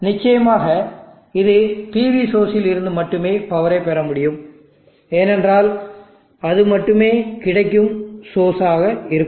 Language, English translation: Tamil, Of course it has to draw the power from the PV source only, because that is the only source available